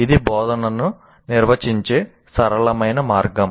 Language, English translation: Telugu, That is a simple way of defining instruction